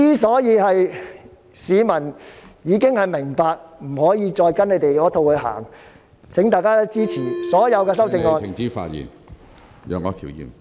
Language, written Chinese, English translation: Cantonese, 市民已明白不能再跟他們那一套......請大家支持所有修正案。, People already realize that we should no longer follow that sort of rhetoric of theirs I urge Members to support all the amendments